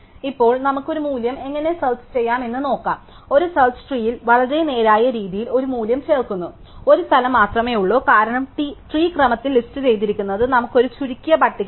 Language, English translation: Malayalam, So, now let us see how to insert a value, inserting a value in a search tree fairly straight forward, there is only one place because of remember that the tree is listed in order will give us a shorted list